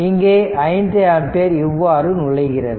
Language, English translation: Tamil, This is this this 5 ampere will circulate like this